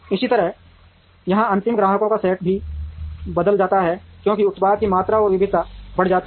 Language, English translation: Hindi, Similarly the set of final customers here also changes as the product volume and variety increases